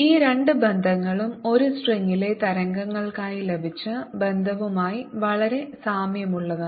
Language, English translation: Malayalam, this two relationships are very similar to the relationship obtain for waves on a string